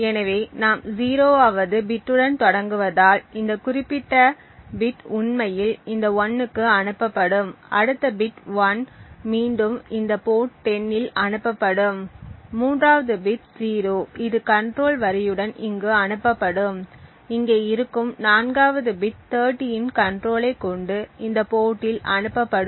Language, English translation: Tamil, So since we start with a 0th bit this particular bit this thing will be actually sent to this 1 and the next bit which is 1 again would be sent on this port 10, the 3rd bit which is 0 would be sent here with the control line even and the 4th bit which is here would be having the control of 30 and sent on this port